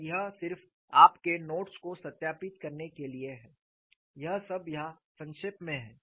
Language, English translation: Hindi, This is what I will have to do and this is just to verify your notes, it is all summarized here